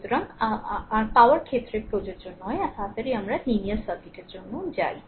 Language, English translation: Bengali, So, so in this case not applicable to your power right so, early we go for linear circuit